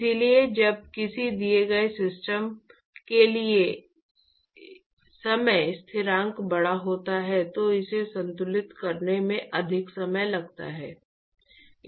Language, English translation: Hindi, So, when the time constant is large for a given system, it takes much longer for it to equilibrate